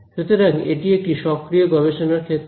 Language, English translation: Bengali, So, this is a very active area of research